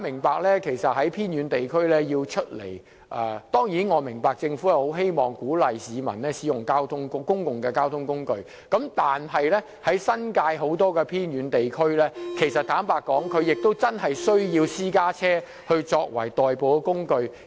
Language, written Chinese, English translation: Cantonese, 市民要從偏遠地區前往市區，儘管政府鼓勵使用公共交通工具，但新界很多偏遠地區居民確實需要以私家車作代步。, While the Government has encouraged the public to use public transport when they commute from a remote area to the urban area many residents living in remote areas in the New Territories really have the need to commute by private car